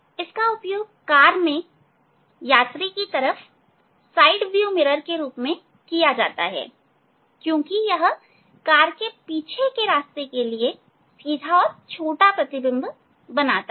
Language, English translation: Hindi, it is used as a side view mirror of the passenger side of a car because it forms an erect and smaller image for the way behind the car